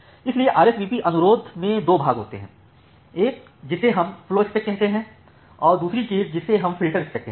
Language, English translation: Hindi, So, a RSVP request it consists of two part; one thing we call as the flowspec and another thing we call as the filterspec